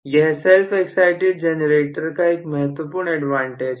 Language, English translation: Hindi, So, this is one of the major advantages of self excited generator